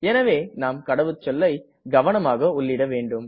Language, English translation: Tamil, So we have to type the password carefully